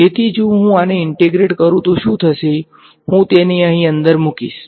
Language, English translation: Gujarati, So, if I integrate this what will happen, I am going to put this inside over here